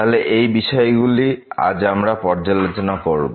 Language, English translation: Bengali, So, these are the concepts we will be covering today